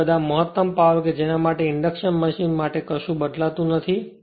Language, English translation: Gujarati, Now all though maximum power will see what is not varying for induction machine right